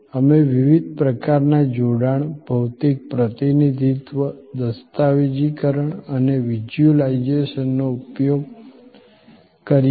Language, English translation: Gujarati, We use different sort of association, physical representation, documentation and visualization